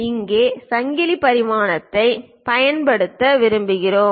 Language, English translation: Tamil, Now, we would like to use chain dimensioning